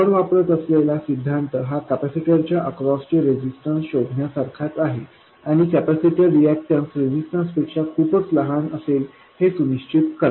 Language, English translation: Marathi, The principle we use is as usual to find the resistance that appears across the capacitor and make sure that the capacity reactance is much smaller than that resistance